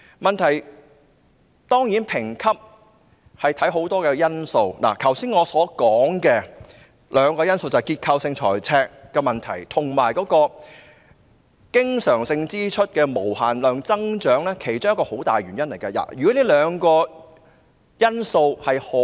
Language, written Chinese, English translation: Cantonese, 問題是，評級會考慮很多因素，包括我剛才所說的兩個問題——即結構性財赤和經常性支出無限增長——也是箇中很大的原因。, The problem is a lot of factors are taken into consideration for rating including the two issues that I have just mentioned―structural deficit and unlimited growth of the recurrent expenditures―which are also the major factors